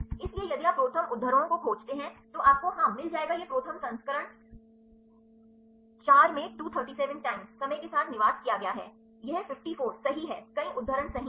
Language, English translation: Hindi, So, if you search the ProTherm citations, you will get yeah this is the ProTherm version 4 resided with 237 times, these 54 this is 54 right there are many citations right ok